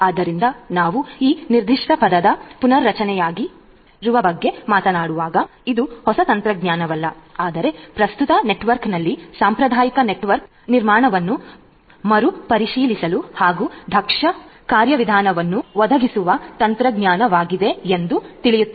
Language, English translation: Kannada, So, when we talk about restructuring as this particular term the qualifier suggests that it is not a new technology, but a technology that will help you to reengineer to reshape to relook at the current network the conventional network architecture and provide an efficient mechanism of doing things